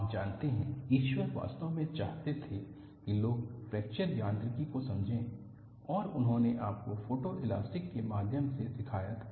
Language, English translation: Hindi, You know, God really wanted people to understand fracture mechanics and he had taught you through photo elasticity